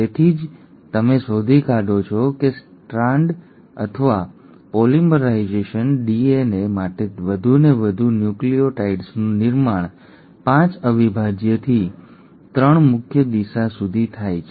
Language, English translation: Gujarati, That is why you find that the Strand or the polymerisation, building up of more and more nucleotides for DNA happens from a 5 prime to a 3 prime direction